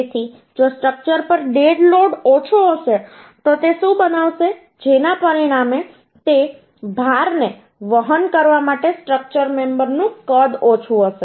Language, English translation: Gujarati, So if dead load on the structure will be less, so what it will uhh create that uhh, consequently the size of the structural member uhh for carrying out that load will be less